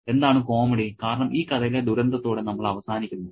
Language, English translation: Malayalam, Because we don't end with a tragedy in the story